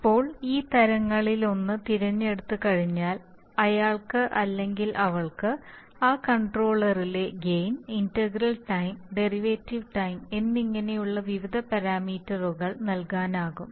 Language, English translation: Malayalam, Now once he selects one of these types he or she should be able to assign the various parameters in that controller like gains, integral times, derivative times extra